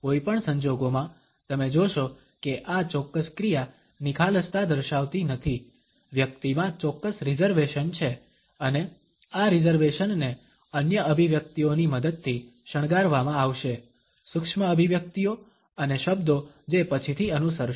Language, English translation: Gujarati, In any case you would find that this particular action does not indicate an openness there are certain reservations in the person and these reservations are further to be decorated with the help of other expressions, micro expressions and the words which might follow later on